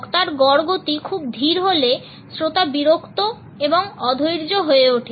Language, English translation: Bengali, If the speaker’s average speed is very slow, the listener becomes bored and impatient